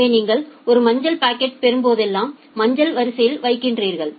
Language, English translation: Tamil, So, whenever you are getting a yellow packet you are putting it in the yellow queue